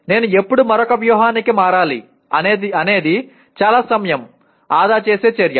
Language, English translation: Telugu, When do I switch over to another strategy is a very very time saving activity